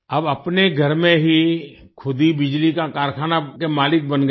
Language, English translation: Hindi, Now they themselves have become the owners of the electricity factory in their own houses